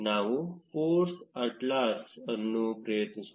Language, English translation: Kannada, Let us try ForceAtlas